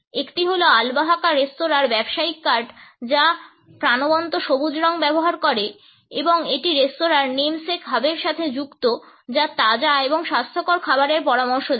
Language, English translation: Bengali, One is of the business card for Albahaca restaurant which uses vibrant green and it is associated with the restaurants namesake hub suggesting fresh and healthy food